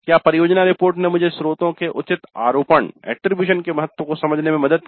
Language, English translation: Hindi, Project report helped me in understanding the importance of proper attribution of sources